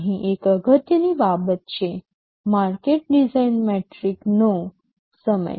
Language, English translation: Gujarati, There is an important thing here, time to market design metric